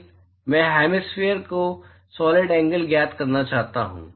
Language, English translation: Hindi, I want to find the solid angle of hemisphere